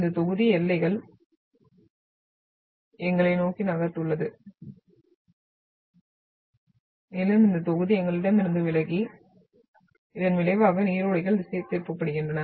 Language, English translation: Tamil, So this block has moved towards us and this block has moved away from us resulting into the deflection of the streams